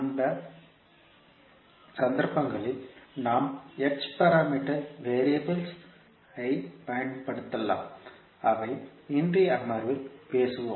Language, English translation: Tamil, So in those cases we can use the h parameter variables which we will discuss in today's session